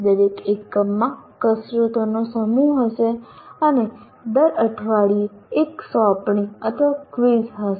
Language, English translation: Gujarati, Each unit will have a set of exercises and each week will have an assignment or a quiz